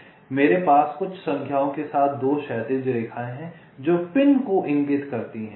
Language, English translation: Hindi, so i have two horizontal lines with some numbers, which indicates pins